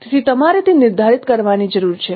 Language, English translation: Gujarati, So you need to determine that